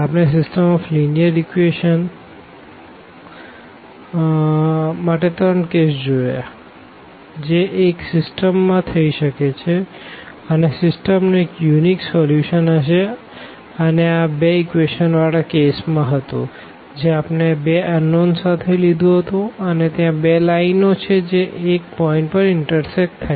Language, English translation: Gujarati, We have seen the 3 cases for the system of linear equations that can happen to a system that the system will have a unique solution and that was the case in terms of the these two equations which we have consider or with two unknowns that there are 2 lines and they intersect exactly at one point